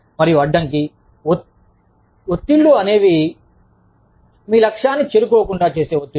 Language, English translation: Telugu, And, hindrance stressors would be stressors, that keep you from reaching your goal